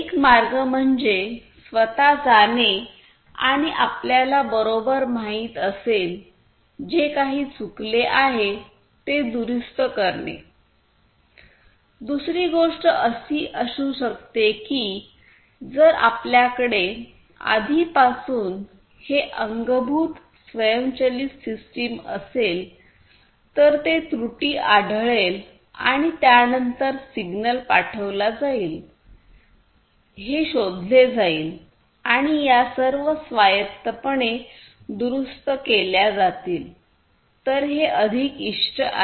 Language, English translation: Marathi, So, one way is to manually go and you know correct, correct whatever it has gone wrong the other thing could be that if you already have this automated system built in which will detect the error and then that will be detected the signals will be sent and the corrections are going to be made all autonomously then that is what is more desirable